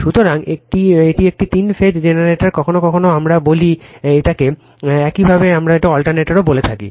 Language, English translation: Bengali, So, this is a three phase generator, sometimes we call it is your what we call it is alternator